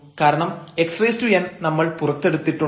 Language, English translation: Malayalam, Here a n and x n we have taken out